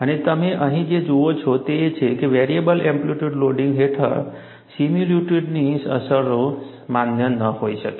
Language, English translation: Gujarati, And what you see here is, under variable amplitude loading, similitude conditions may not be valid